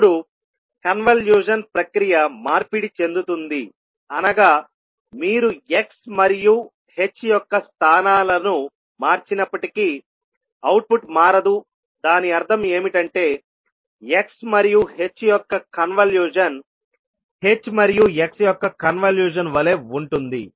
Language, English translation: Telugu, Now the convolution process is commutative, that means if you interchange the positions of x and h, the output is not going to change that means convolution of x and h will be same as convolution of h and x